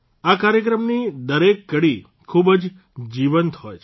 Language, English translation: Gujarati, Every episode of this program is full of life